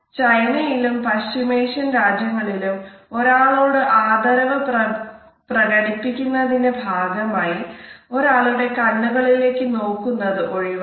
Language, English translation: Malayalam, In China as well as in Middle East a one has to pay respect to the other person, the eye contact is normally avoided